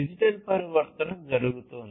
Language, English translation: Telugu, This digital transformation has been happening